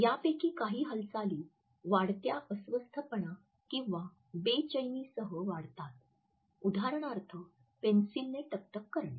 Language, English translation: Marathi, Some of these movements increase with increase anxiety for example, tapping the disk with a pencil